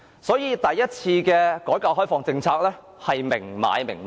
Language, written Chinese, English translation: Cantonese, 所以，第一次改革開放的政策是明買明賣的。, So the policy of the first reform is an explicit transaction